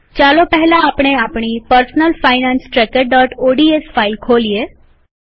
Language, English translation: Gujarati, Let us open our Personal Finance Tracker.ods file first